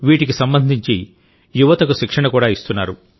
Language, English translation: Telugu, Youth are also given training for all these